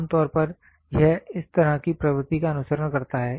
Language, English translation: Hindi, Generally it follows a trend like this